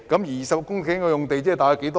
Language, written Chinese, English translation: Cantonese, 20公頃用地即是多大呢？, How big is 20 hectares of land?